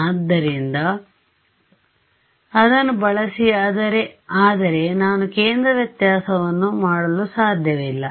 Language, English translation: Kannada, So, use, but I cannot do centre differences